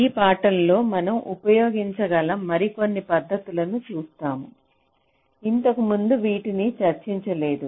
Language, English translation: Telugu, so in this lecture we shall be looking at a few more techniques which also can be used which i have not discussed earlier